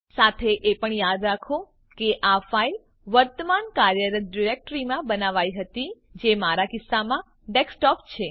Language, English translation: Gujarati, Also recall that this file was created in current working directory, which in my case is desktop